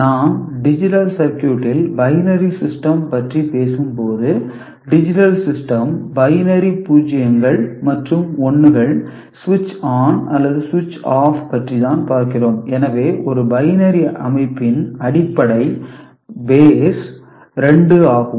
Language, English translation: Tamil, So, if we talk about binary system in the digital circuit, digital system you are talking about binary 0s and 1s switched on or switched off this is the way we are looking at it, so a binary system base is 2 ok